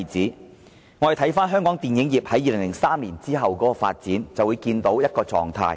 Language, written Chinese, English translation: Cantonese, 如果大家看香港電影業在2003年後的發展，就會看到一種狀態。, If we look at the development of the Hong Kong film industry since 2003 we will observe one phenomenon